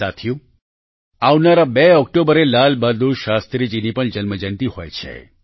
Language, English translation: Gujarati, the 2nd of October also marks the birth anniversary of Lal Bahadur Shastri ji